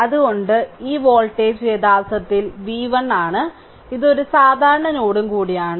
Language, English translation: Malayalam, So, this voltage actually v 1 and this is also a common node